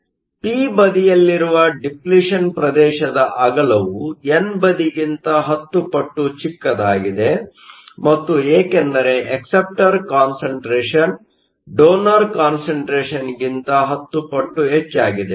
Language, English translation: Kannada, So, the width of the depletion region in the p side is 10 times smaller than that of the n side and that is because the concentration of acceptors is 10 times more than the concentration of donors